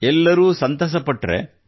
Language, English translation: Kannada, All were satisfied